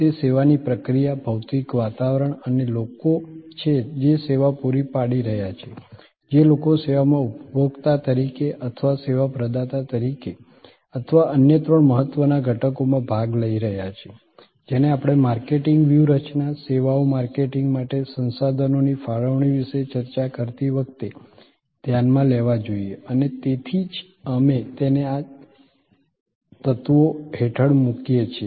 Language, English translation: Gujarati, That, the process of service, the physical environment that is there in and people who are providing the service, people who are participating in the service as consumer or as service provider or three other important elements, which must be considered when we discuss about deployment of a marketing strategy, allocation of resources for services marketing and that is why we put it under these elements